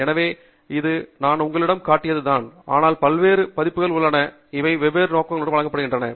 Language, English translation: Tamil, So, this was the one that I was showing you, but there are several other versions which are similar, which may serve different purposes